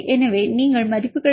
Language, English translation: Tamil, So, you will get the values